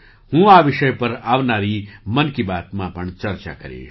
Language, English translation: Gujarati, I will also touch upon this topic in the upcoming ‘Mann Ki Baat’